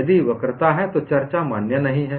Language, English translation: Hindi, If there is curvature, the discussion is not valid